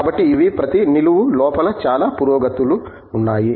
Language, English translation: Telugu, So, these are, within each vertical there have been lots of advancements